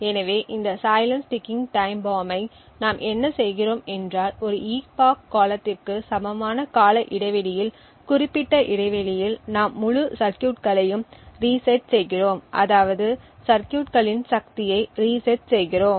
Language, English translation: Tamil, So, in order to silence this ticking time bomb what we do is that at periodic intervals of time at periods equal to that of an epoch we reset the entire circuit that is we reset the power of the circuit